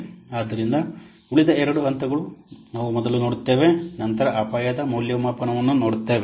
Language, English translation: Kannada, So the other remaining two steps are we will see first, then we will see the risk evaluation